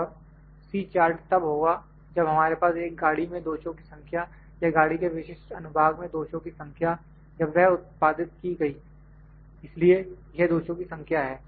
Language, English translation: Hindi, And C chart is when we have the number of defects like I said number of defects in the car or number of defects in the specific section of the car when it is manufactured so, it is number of defects